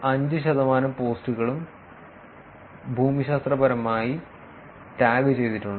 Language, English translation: Malayalam, 5 percent of the posts posted by unique users were geographically tagged